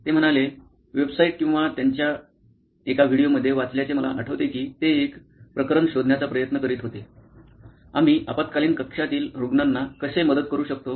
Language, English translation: Marathi, They said one of the cases I remember having read in a website or in one of their videos is they were trying to figure out, ‘How can we help emergency room patients